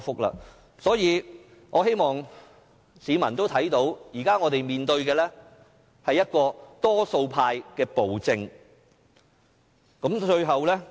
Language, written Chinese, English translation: Cantonese, 因此，我希望市民明白，現在我們面對的是多數派的暴政。, I can only keep my fingers crossed for Hong Kong and I wish the public would understand that we are now facing the tyranny of the majority